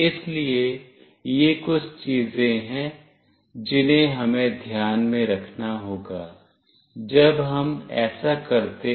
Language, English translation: Hindi, So, these are the few things, we have to take into consideration when we do this